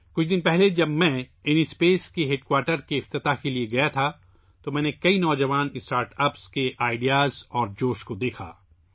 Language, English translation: Urdu, A few days ago when I had gone to dedicate to the people the headquarters of InSpace, I saw the ideas and enthusiasm of many young startups